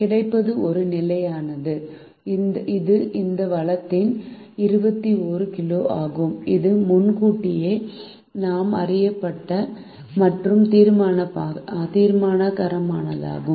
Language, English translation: Tamil, the availability is is a constant which is twenty one kg of this resource and is known well in advance, and deterministic